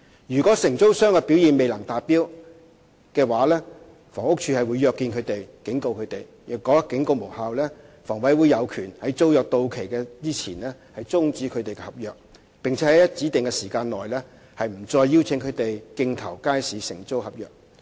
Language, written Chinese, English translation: Cantonese, 如果承租商的表現未能達標，房屋署會約見及警告他們；如果警告無效，房委會有權在租約到期前終止其合約，並且在指定期間內不再邀請他們競投街市承租合約。, The Housing Department will arrange for meetings with those who fall short of the expected standard and issue warnings to them . If poor performance persists despite the warnings HA has the right to terminate their agreements before the expiry of tenancies and not to invite them to submit bids for other single - operator market contracts for a specified period of time